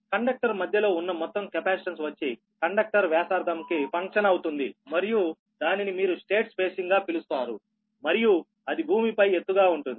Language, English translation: Telugu, so the amount of capacitance between conductor is a function of your conductor radius, right, is a function of conductor radius and your your, what you call that space spacing and height above the ground